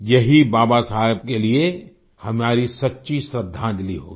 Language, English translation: Hindi, This shall be our true tribute to Baba Saheb